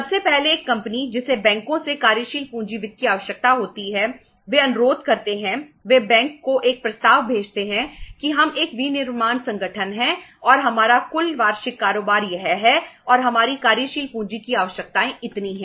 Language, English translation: Hindi, First of all a company uh who needs the working capital finance from the banks they request, they send a proposal to the bank that we are a manufacturing organization and our total annual turnover is this much and our working capital requirements are this much